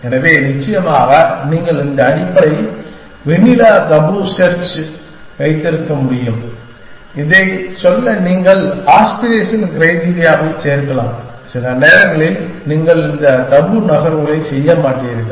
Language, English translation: Tamil, So, in the end of course, you can have this basic vanilla tabu search than you can add the aspiration criteria to say that, sometimes you do not make moves tabu